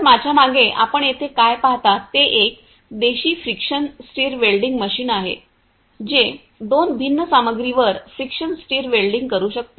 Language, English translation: Marathi, So, behind me what you see over here is a is an indigenous friction stir welding machine which can do friction stir welding on two different materials